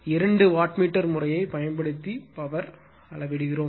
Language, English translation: Tamil, We measure power using two wattmeter method right and this is I am leaving up to you